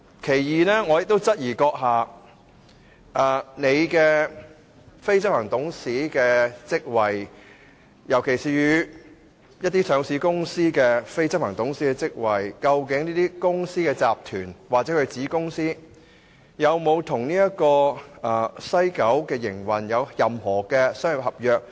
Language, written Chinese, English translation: Cantonese, 你出任非執行董事的職位，尤其是上市公司的非執行董事職位，究竟這些公司、集團或其子公司與西九的營運有沒有任何商業合約？, You are the managing director of certain companies in particular listed companies . Actually are these companiesgroups or their subsidiaries involved in any commercial contracts related to the operation of the West Kowloon station?